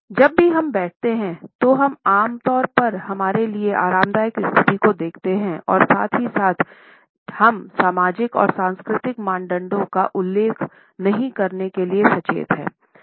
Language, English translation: Hindi, Even though we understand that while we sit; then we normally are looking for a position which is comfortable to us and at the same time we are conscious not to violate the social and cultural norms